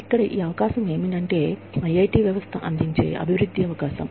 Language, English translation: Telugu, What this opportunity here is, a development opportunity, offered by the IIT system